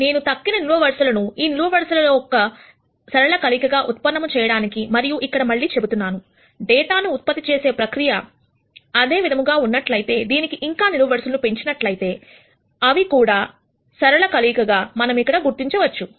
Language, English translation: Telugu, So that I can generate the remaining columns as a linear combination of these columns, and as I have been mentioning again, if the data generation process remains the same as I add more and more columns to these, they will also be linear combinations of the columns that we identify here